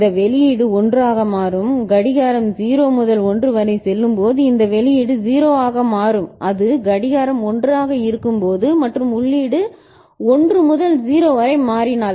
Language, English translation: Tamil, That this output will become 1 and this output will become 0 at when the clock goes from 0 to 1, and when it is clock is at 1 and if input changes from 1 to 0 ok